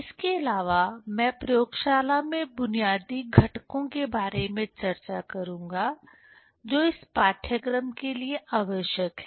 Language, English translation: Hindi, Also I will discuss about the basic components in the laboratory, which are required for this course